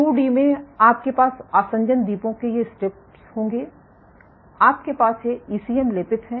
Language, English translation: Hindi, You have so, in 2D you will have these strips of adhesion islands, you have these are ECM coated